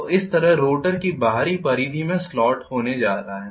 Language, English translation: Hindi, So rotor is going to have slots in the external periphery like this